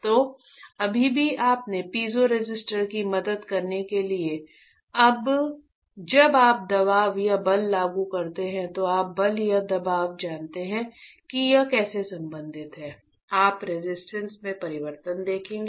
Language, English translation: Hindi, So, still to help you piezoresistor is when you apply a pressure or a force, you know force and pressure how they are related you will see the change in resistance right